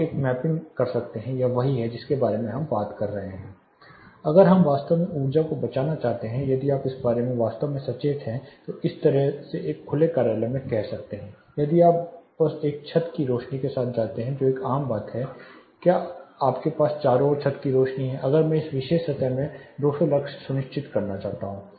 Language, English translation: Hindi, You can do a mapping face to face clear this is what we are talking about if we really want to save energy if your are really conscious about it say in a typical open office like this if you simply go with a ceiling lights which is a common things to do you have ceiling lights all around you will have if I am wanting to ensure something like 200 lux in this particular plane